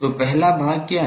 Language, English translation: Hindi, So, what is the first part